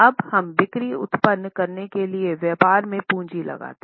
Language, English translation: Hindi, Now, we employ the capital in business to generate the sales